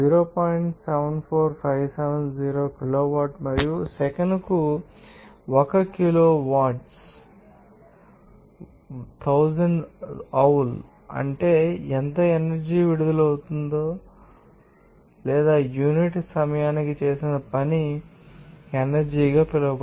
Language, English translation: Telugu, 74570 kilowatt and also 1 kilowatt joule 1000 joule per second that means, the how much energy is released or work done per unit time that will be called as power